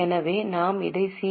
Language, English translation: Tamil, So we will put it as CA